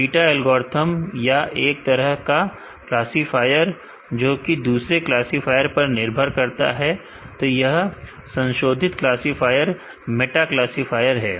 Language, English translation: Hindi, Meta algorithm or kind of classifier which depends on other classifier they are modified classifier meta classifiers